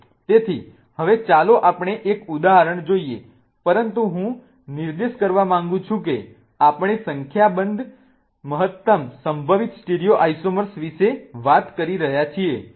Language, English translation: Gujarati, So, now let us look at one of the examples but I want to point out that we are talking about the number of maximum possible stereoisomer